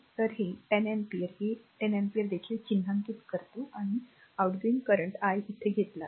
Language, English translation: Marathi, So, this 10 ampere is also mark this 10 ampere and outgoing current if I take here